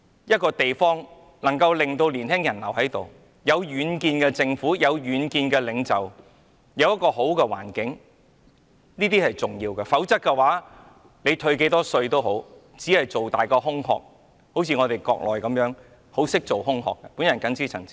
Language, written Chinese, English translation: Cantonese, 一個地方能夠令年輕人留下來，須有具遠見的政府和領袖，以及良好的環境，否則退多少稅也只是擴大空殼，就如內地，在做空殼方面，同樣很在行。, A place must be governed by a government led by a far - sighted leader while offering a sound environment in order to make its young people stay . Otherwise it is nothing more than an enlarged empty shell just like the case of the Mainland where people are also adept at producing empty shells